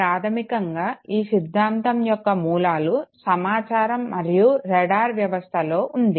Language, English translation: Telugu, Basically this very theory has its a root in communication and radar system